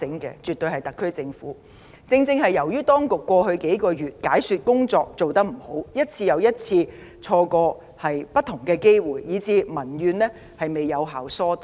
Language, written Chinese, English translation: Cantonese, 正正由於政府當局過去數月的解説工作做得不理想，又再三錯失不同機會，民怨才得不到有效疏導。, Because of the inadequate efforts of the Administration to explain its policies in the past several months and its repeated failures to seize opportunities public grievances have not been effectively vented